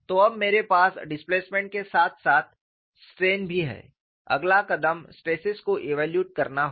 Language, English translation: Hindi, Now, I have displacements as well as strains the next step is evaluate the stresses